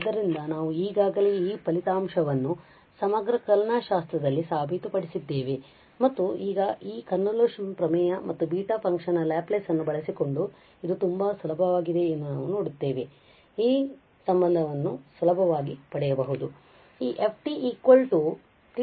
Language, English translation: Kannada, So, this result we have already proved in integral calculus and now we will see it is much easier using this convolution theorem and the Laplace of the beta function we can get this relation easily